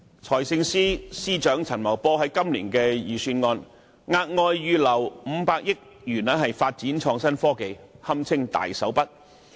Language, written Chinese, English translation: Cantonese, 財政司司長陳茂波在今年的財政預算案中，額外預留500億元發展創新科技，堪稱大手筆。, In the Budget this year Financial Secretary Paul CHAN sets aside an additional 50 billion for IT development